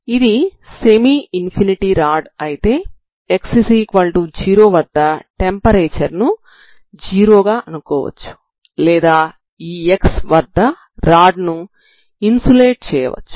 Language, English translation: Telugu, If it is a rod so semi infinite rod at x equal to 0 either temperature is 0 or the you insulate that body you insulate this rod at this x